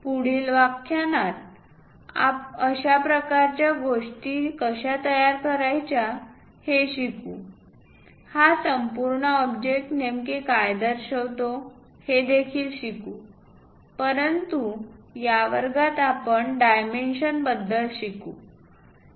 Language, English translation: Marathi, Later lectures, we will understand that how to construct such kind of things, what exactly this entire object represents, but in this class we will learn about dimensions